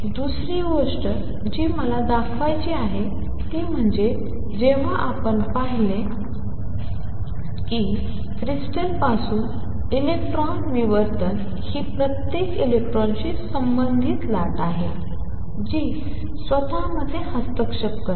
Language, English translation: Marathi, Other thing which I wish to point out is that when we looked at electron diffraction from a crystal it is the wave associated with each electron that interferes with itself